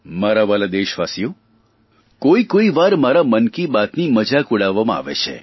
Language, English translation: Gujarati, My dear countrymen, sometimes my 'Mann Ki Baat' is ridiculed a lot and is criticized much also